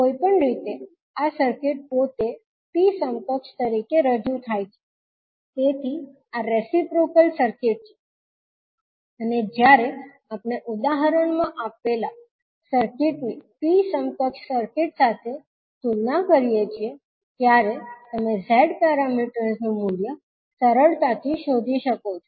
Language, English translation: Gujarati, Anyway, this circuit itself is represented as T equivalent, so this is reciprocal circuit and when we compare with the T equivalent circuit with the circuit given in the example you can easily find out the value of the Z parameters